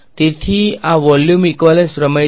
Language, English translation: Gujarati, So, this was the volume equivalence theorems